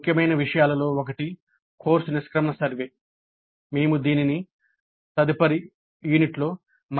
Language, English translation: Telugu, One of the important ones is course exit survey